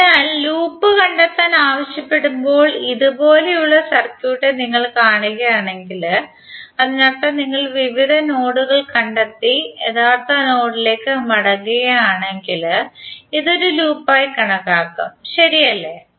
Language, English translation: Malayalam, So that means if you see the circuit like this when you are ask to find out the loop, it means that if you trace out various nodes and come back to the original node then this will consider to be one loop, right